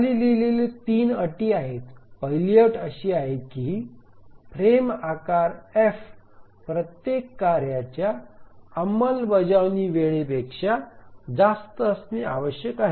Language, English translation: Marathi, The first condition is that the frame size F must be greater than the execution time of every task